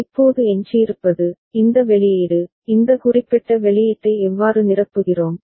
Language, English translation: Tamil, What is left now, this output, how we fill up this particular output